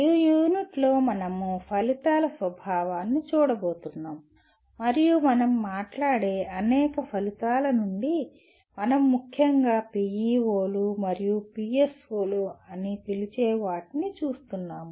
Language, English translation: Telugu, In this unit we are going to look at the nature of outcomes and out of the several outcomes we talk about, we are particularly looking at what we call PEOs and PSOs